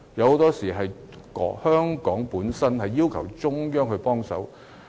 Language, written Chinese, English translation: Cantonese, 很多時候，是香港本身要求中央給予協助。, Very often it is Hong Kong itself who asked the Central Government for assistance